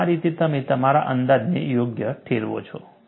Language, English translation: Gujarati, And this is how, you justify your approximation